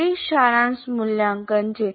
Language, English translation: Gujarati, That is summative valuation